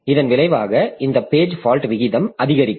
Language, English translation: Tamil, So, as a result, this page fault rate will increase